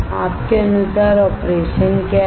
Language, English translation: Hindi, What is the operation according to you